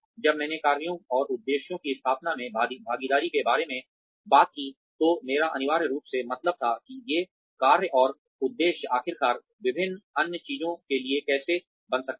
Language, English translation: Hindi, When I talked about involvement in the setting of tasks and objectives, I essentially meant that, how these tasks and objectives, can eventually lead to various other things